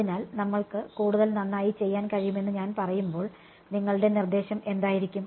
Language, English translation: Malayalam, So, when I say can we do better, what would be your suggestion